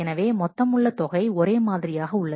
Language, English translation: Tamil, So, the sum remains same